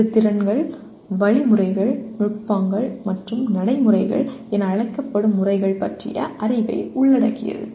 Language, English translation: Tamil, It includes the knowledge of skills, algorithms, techniques, and methods collectively known as procedures